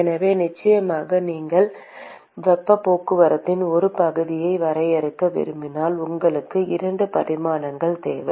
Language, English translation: Tamil, So, definitely when you want to define an area of heat transport, you need 2 dimensions